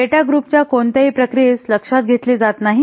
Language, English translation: Marathi, It doesn't take into account any processing of the data groups